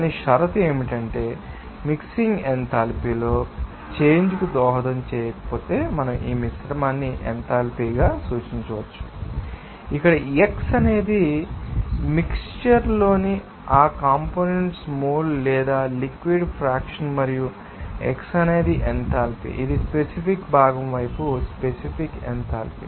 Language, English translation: Telugu, But the condition is that if the mixing itself does not contribute to a change in enthalpy, so, we can represent this mixture enthalpy as where xi is the mole or mass fractions of that components in the mixture and xi is the enthalpy that is specific enthalpy of the particular component side